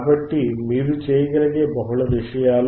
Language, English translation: Telugu, So, multiple things you can do